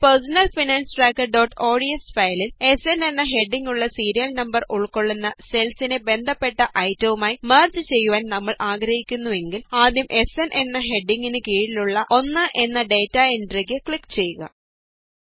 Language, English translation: Malayalam, In our personal finance tracker.ods file , if we want to merge cells containing the Serial Number with the heading SN and their corresponding items, then first click on the data entry 1 under the heading SN